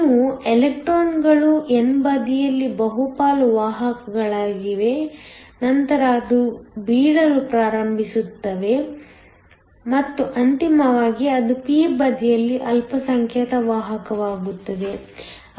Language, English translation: Kannada, You have electrons are the majority carriers on the n side, then it starts to drop and then finally, it becomes a minority carrier on the p side